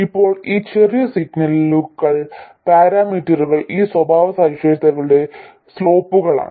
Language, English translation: Malayalam, Now these small signal parameters are the slopes of these characteristics